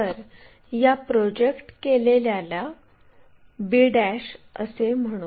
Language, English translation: Marathi, So, let us call this projected 1 b '